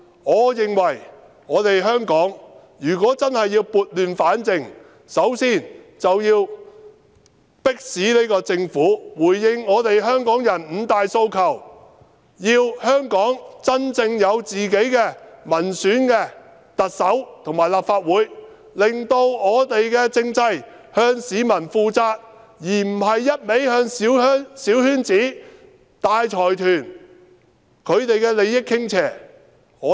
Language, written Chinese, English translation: Cantonese, 我認為香港如果真的要撥亂反正，首先便要迫使這個政府回應香港人的五大訴求，香港要有真正民選的特首和立法會議員，令政制向市民負責，而不是不斷向小圈子及大財團的利益傾斜。, I think if we really want to set things right in Hong Kong we must compel the Government to respond to the five demands put forward by Hongkongers as the first step . Hong Kong must have a Chief Executive and Members of the Legislative Council who are genuinely elected by the people to render the political system accountable to members of the public instead of continuing to tilt in favour of small circles and large consortia